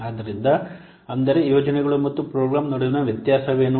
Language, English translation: Kannada, So, that's what is the difference between projects and programs